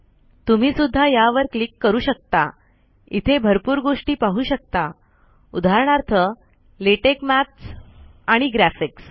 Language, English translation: Marathi, You can also click this, you can see lots of things, for example, you can see latex maths and graphics